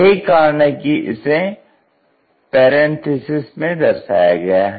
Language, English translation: Hindi, So, that is the reason we show it in parenthesis